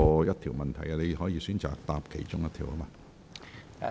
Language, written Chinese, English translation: Cantonese, 局長，你可以選擇回答其中一項。, Secretary you may choose to answer any one of them